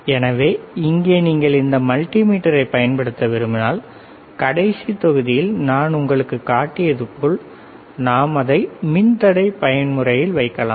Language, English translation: Tamil, So, here if you want to use this multimeter, like I have shown you in the last module, we can we can keep it in the resistance mode